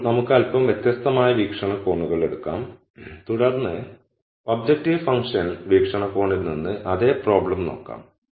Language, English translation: Malayalam, Now, let us take a slightly different viewpoints and then look at the same problem from an objective function viewpoint